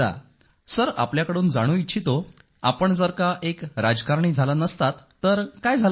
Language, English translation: Marathi, I want to know from you;had you not been a politician, what would you have been